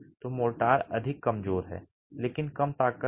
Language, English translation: Hindi, So, the motor is more deformable but of lower strength